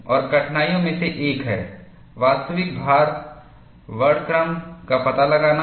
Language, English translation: Hindi, And one of the difficulties is, finding out the actual loads spectrum; it is not simple